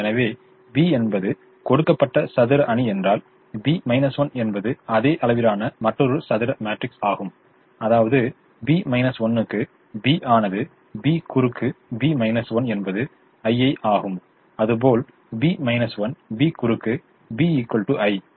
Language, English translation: Tamil, so if b is the given square matrix, b inverse is a another square matrix of the same size, such that b into b inverse are b cross b inverse is i, b inverse, b cross b is also equal to i